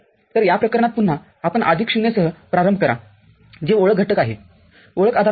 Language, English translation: Marathi, So, in this case again, you start with the plus 0 that is identity element identity postulate